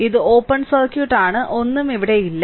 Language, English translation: Malayalam, So, it is open circuit; so, nothing is there